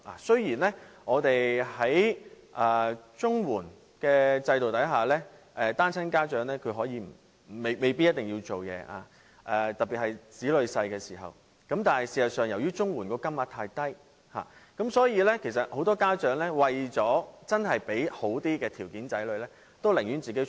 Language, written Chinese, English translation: Cantonese, 雖然在綜援制度下，單親家長不一定需要工作，特別是當子女還年幼的時候，但事實上，由於綜援金額太低，很多家長為了讓子女有好一點的生活條件，他們寧願外出工作。, Although under the CSSA system single parents do not necessarily go to work especially when their children are still young many parents would rather go to work to improve the living conditions of their children as the CSSA allowance level is too low